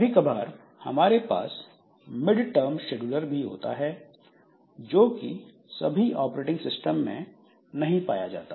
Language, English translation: Hindi, And sometimes we have got a mid term scheduler also, which is not there in all operating systems